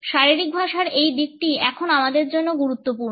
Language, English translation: Bengali, This aspect of body language is now important for us